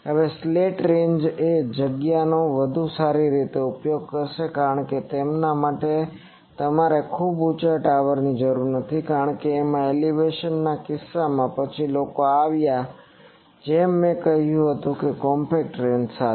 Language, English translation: Gujarati, Now, slant ranges are better utilize the space because for them you do not require a very large tower as the case of elevation in this etc, then people have come up as I said with a compact range